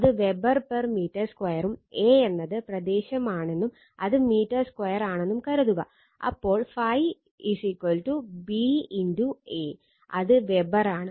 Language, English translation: Malayalam, Suppose, Weber per meter square an A is the area, it is meter square so, phi is equal to B into A, it is Weber right